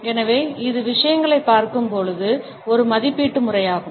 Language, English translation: Tamil, So, it is an evaluatory manner of looking at things